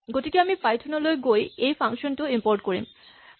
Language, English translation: Assamese, So, we call Python and we import this function